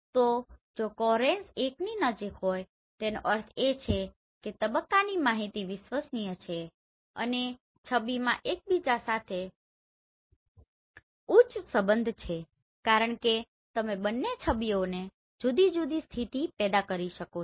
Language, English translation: Gujarati, So if the coherence near 1 that means the phase information is reliable right and the image has high degree of correlation because you have generated both the images from different position